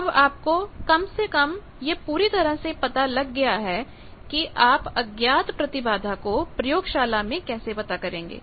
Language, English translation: Hindi, Now, you know at least completely that how to find unknown impedance in the laboratory